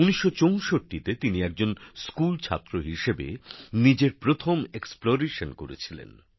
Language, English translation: Bengali, In 1964, he did his first exploration as a schoolboy